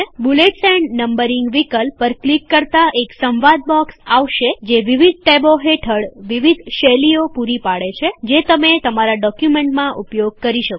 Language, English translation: Gujarati, The dialog box which you see after clicking on Bullets and Numbering option, provides you various styles under different tabs which you can apply on your document